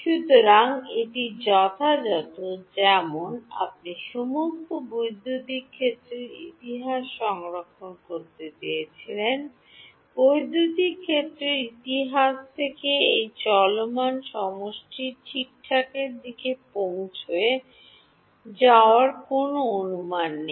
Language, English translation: Bengali, So, this is as accurate as if you wanted to store all the electric field histories, there is no approximation made in going from electric field history from convolution to this running summation ok